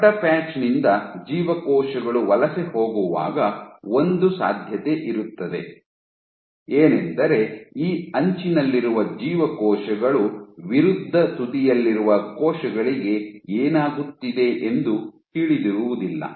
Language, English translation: Kannada, One possibility is when you have a bigger it cells from bigger patch migrating then the cells at this edge do not know of what happens what is happening to the cells at the opposite edge